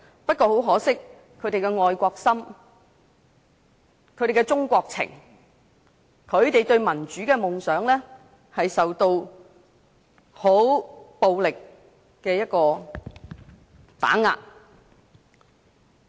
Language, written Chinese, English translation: Cantonese, 不過，很可惜，他們的愛國心、中國情、對民主的夢想受到很暴力的打遏。, But unfortunately their patriotism their love of the country and their dreams of democracy had been violently shattered